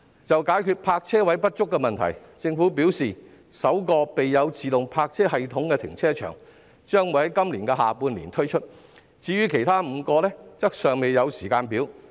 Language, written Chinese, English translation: Cantonese, 就解決泊車位不足的問題，政府表示首個備有自動泊車系統的停車場將於今年下半年啟用，至於其他5個則尚未有時間表。, On how to resolve the shortage of parking spaces the Government said that the first car park equipped with an automated parking system would be commissioned in the latter half of this year while there is not yet any timetable for the other five